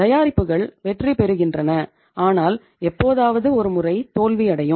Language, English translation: Tamil, Lastly products gets succeeded but sometime once in a while they get failed also